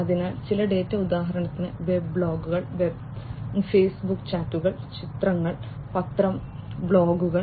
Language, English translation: Malayalam, So, certain data for example, Web blogs, Facebook chats, images, the newspaper blogs